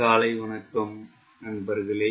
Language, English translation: Tamil, good morning friends